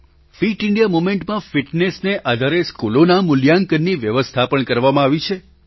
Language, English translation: Gujarati, In the Fit India Movement, schedules have been drawn for ranking schools in accordance with fitness